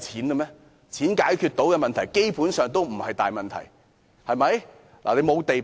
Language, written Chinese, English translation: Cantonese, 金錢能解決的問題，基本上也不是大問題，對嗎？, Problems that can be solved by money are basically not big problems arent they?